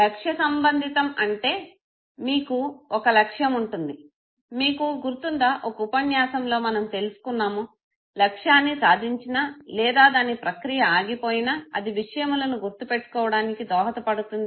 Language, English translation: Telugu, Goal relevance means you have set a goal for yourself, you remember in the one of the lectures we said no, that it is attainment of the goal or it is blocked in the process of attaining the goal know that helps you memorize things